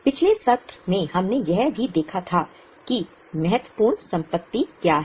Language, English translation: Hindi, In the last session we had also seen what are the important assets